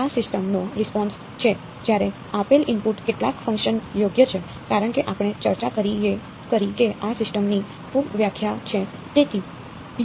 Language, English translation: Gujarati, This is the response of the system when the given input is a delta function right, as we discussed that is the very definition of this system